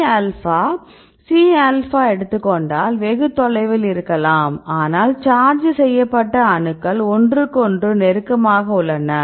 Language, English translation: Tamil, If we take the C alpha – C alpha, right they may be far, but if we see the charged atoms these atoms are close to each other